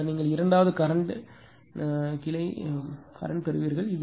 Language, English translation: Tamil, Then you will get the second iteration the branch current